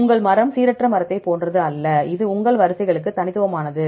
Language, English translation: Tamil, Your tree is the same as randomized tree or it is unique for your sequences